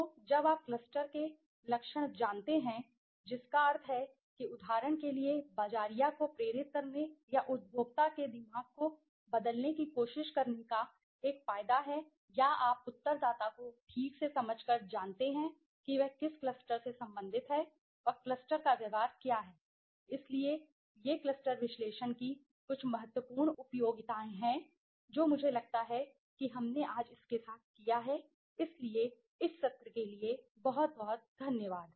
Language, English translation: Hindi, And when you know the trait of the cluster that means the marketer for example has an advantage of trying to motivate or try to change the mind of the consumer or the you know the respondent by rightly understanding to which cluster he belongs to and what is the behavior of the cluster right so these are some of the important utilities of cluster analysis I think we have done with it today so thank you very much for this session